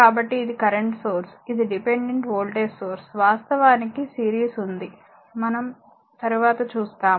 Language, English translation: Telugu, So, it is a current source it is a dependent voltage source, there is series actually later we will see that